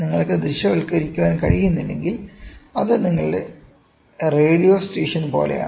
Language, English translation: Malayalam, So, if you cannot visualize, it is something like your radio station